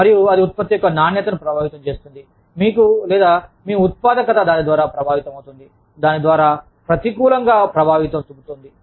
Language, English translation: Telugu, And, that in turn, influences the quality of output, you have, or, your productivity is affected by it, negatively affected by it